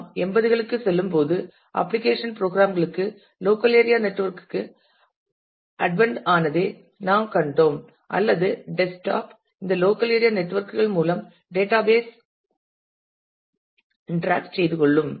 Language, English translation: Tamil, And as we move to the 80s; then we saw the advent of local area networks to application programs or desktop would interact to with the database through these local area networks